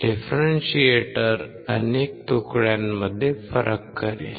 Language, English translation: Marathi, Differentiator will differentiate into a lot of fragments